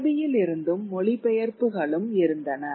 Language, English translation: Tamil, And also there were translations from Arabic